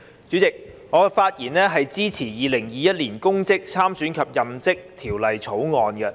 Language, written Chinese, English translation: Cantonese, 主席，我發言支持《2021年公職條例草案》。, President I speak in support of the Public Offices Bill 2021 the Bill